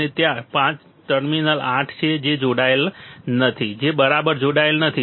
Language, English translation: Gujarati, And then that there is terminal 8 which is not connected which is not connected right